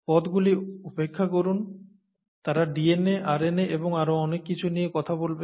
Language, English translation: Bengali, Please ignore the terms, they’ll talk of DNA, RNA and so on and so forth